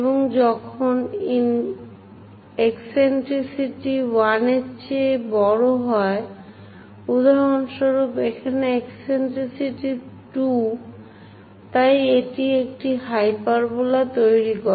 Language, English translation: Bengali, And when eccentricity is greater than 1 for example like 2 eccentricity here, it construct a hyperbola